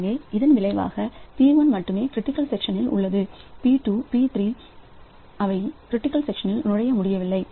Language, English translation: Tamil, So, as a result only p1 is in critical section, p2, p3 they are not, they could not enter into the critical section